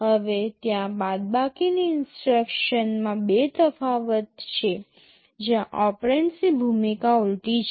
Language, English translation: Gujarati, Now, there are two variation of the subtract instructions, where the role of the operands are reversed